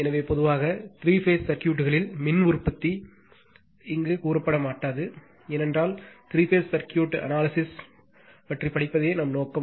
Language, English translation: Tamil, So, generally power generation in three phase circuit nothing will be told here just giving you some flavor, because our objective is to study the three phase circuit analysis